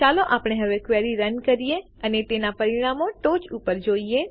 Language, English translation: Gujarati, Let us now run the query and see the results at the top